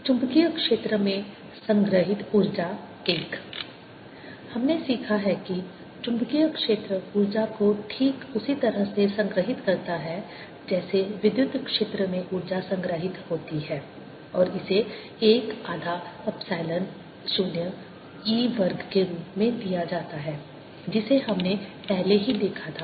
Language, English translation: Hindi, we have learnt that magnetic field stores energy exactly in the same way, similar to an electric field stores energy, and that is given as one half epsilon zero e square, which we had already seen, and today's lecture